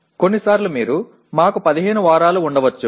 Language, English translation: Telugu, Sometimes you may have let us say 15 weeks